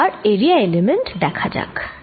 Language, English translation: Bengali, next, let's look at the area element